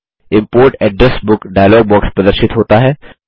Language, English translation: Hindi, The Import Address Book dialog box appears